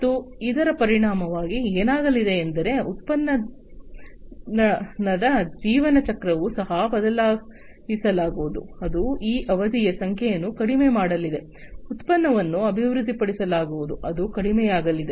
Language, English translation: Kannada, And consequently what is going to happen is that the product life cycle is also going to be changed, it is going to be lower the number of that the duration of time that a product will be developed over is going to be reduced